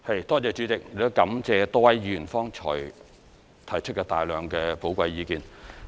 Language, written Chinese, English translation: Cantonese, 代理主席，感謝多位議員剛才提出大量的寶貴意見。, Deputy President I wish to thank Members for raising expressing views just now